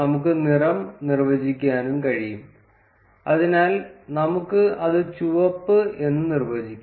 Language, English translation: Malayalam, And we can also define the color, so let us define it as red